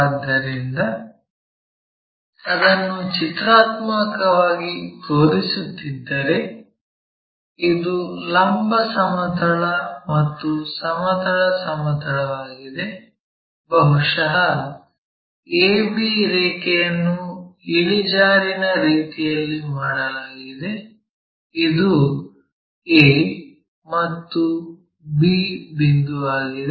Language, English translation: Kannada, So, if we are pictorially showing that this is the vertical plane, this is the horizontal plane, perhaps our AB point inclined in such a way that, this is A, that is B